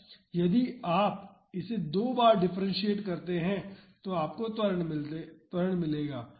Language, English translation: Hindi, If you differentiate it twice you will get acceleration